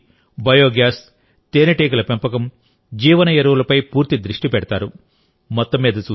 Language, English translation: Telugu, There is complete focus on Solar Energy, Biogas, Bee Keeping and Bio Fertilizers